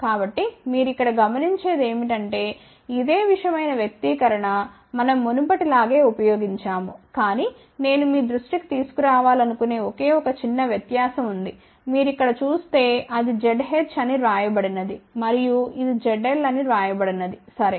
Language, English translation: Telugu, So, what you will notice over here, that this is similar expression, we have used the same thing as before , but there is a only 1 small difference where I want to bring your attention, you see over here it is written as Z h and this is written as Z l ok